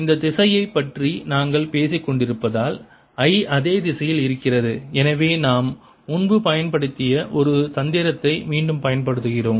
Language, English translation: Tamil, and since we have been talking about this direction, i is in the same direction is d l, and therefore we again use a trick that we used earlier